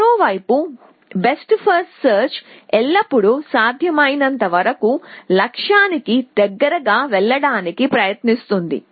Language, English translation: Telugu, Best first search on the other hand always tries to go as close to the goal as possible essentially